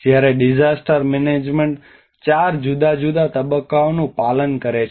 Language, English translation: Gujarati, Whereas the disaster management follows four different phases